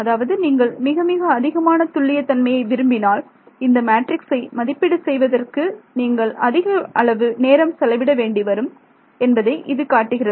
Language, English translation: Tamil, So, that tells you that you know if you wanted a very accurate answer you would have to spend a lot of time in evaluating the matrix itself, then you would spend time in inverting that matrix